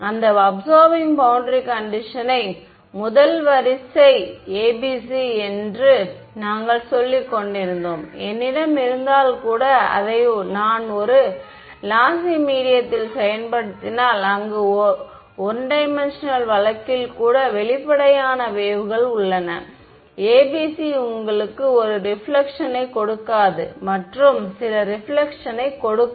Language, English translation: Tamil, We were saying that absorbing boundary condition the first order ABC even if I have, if I implement it in a lossy medium where there are evanescent waves even in a 1D case the ABC does not gives you a reflection and gives some reflection